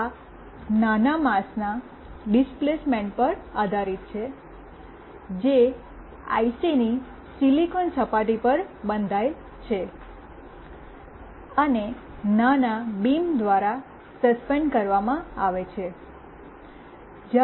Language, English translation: Gujarati, And this is based on displacement of a small mass that is etched into the silicon surface of the IC, and suspended by small beams